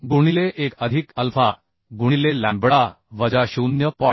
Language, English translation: Marathi, 5 into 1 plus alpha into lambda minus 0